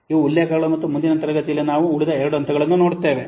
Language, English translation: Kannada, These are the references and in the next class we will see the remaining two steps